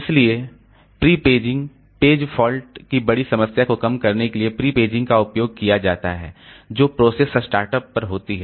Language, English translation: Hindi, So, prepaging is used to reduce the large number of page fault that occurs at process start up